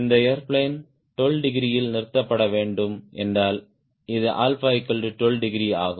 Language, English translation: Tamil, if this airplane suppose to stall at twelve degrees, this is a alpha twelve degree